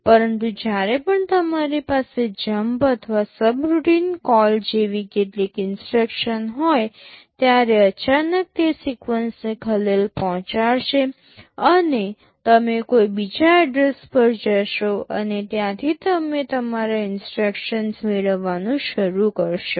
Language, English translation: Gujarati, But, whenever you have some instructions like jump or a subroutine call, suddenly that sequence will be disturbed, and you will be going to some other address and from there you will be starting to fetch your instructions